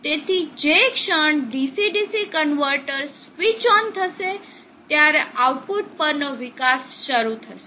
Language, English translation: Gujarati, So the moment that switches of the DC DC converter switches on the output will start developing